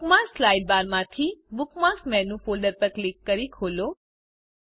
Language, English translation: Gujarati, From the Bookmarks Sidebar, click on and open the Bookmarks Menu folder